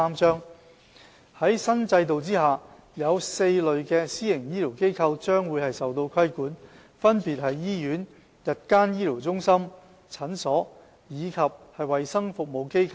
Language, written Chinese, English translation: Cantonese, 在新制度下，有4類私營醫療機構將受到規管，分別是醫院、日間醫療中心、診所，以及衞生服務機構。, 343 . Under the new regime four types of PHFs are subject to regulation namely hospitals day procedure centres clinics and health services establishments